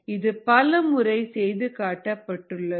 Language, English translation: Tamil, this is been shown repeatedly